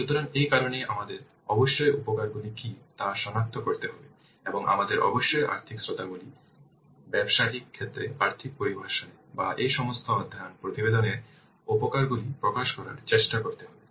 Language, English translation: Bengali, So that's why we must have to identify what are the benefits and we must try to express the benefits in terms of the financial terms, in monetary terms in the business case or in this feasible study report